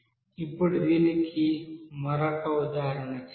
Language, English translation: Telugu, Now let us do another example for this